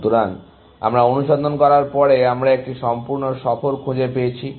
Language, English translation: Bengali, So, after we have done the search, we have found a complete tour